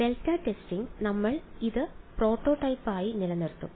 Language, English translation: Malayalam, Delta testing; we’ll keep this as the prototype alright